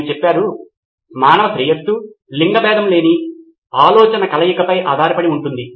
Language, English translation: Telugu, He says human prosperity depends upon ideas having sex combining together